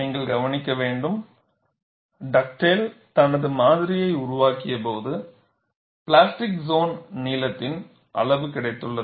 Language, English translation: Tamil, See, you will have to note, when Dugdale developed his model, he has got the extent of plastic zone length